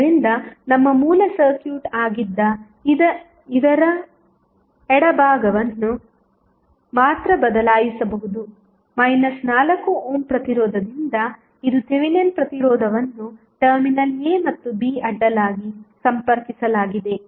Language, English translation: Kannada, So, the left side of this which was our original circuit can be replaced by only the 4 ohm that is minus 4 ohm resistance that is Thevenin resistance connected across terminal a and b